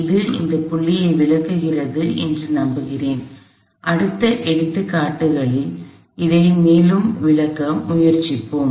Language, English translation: Tamil, I hope this illustrated the point, we will try to take this further in the next set of examples